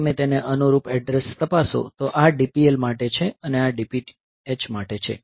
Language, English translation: Gujarati, If you look into the corresponding address, so this is for DPL and this is for DPH